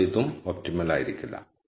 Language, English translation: Malayalam, So, this cannot be an optimum either